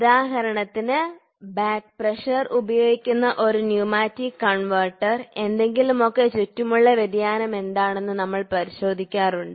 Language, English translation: Malayalam, For example, a pneumatic converter using backpressure we used to check what is the deviation along around the whole something that